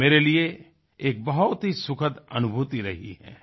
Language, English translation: Hindi, This has been a very sublime experience for me